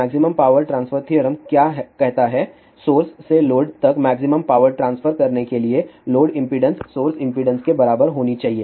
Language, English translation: Hindi, What maximum power transfer theorem says, in order to transmit the maximum power from the source to the load, load impedance should be equal to source impeder